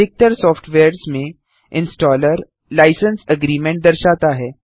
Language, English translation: Hindi, As with most softwares, the installer shows a License Agreement